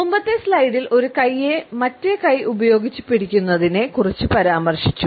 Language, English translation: Malayalam, In the previous slide we have referred to a hand gripping the arm